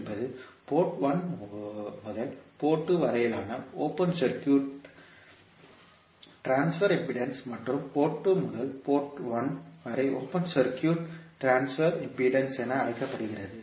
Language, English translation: Tamil, Z12 is open circuit transfer impedance from port 1 to port 2 and Z21 is called open circuit transfer impedance from port 2 to port 1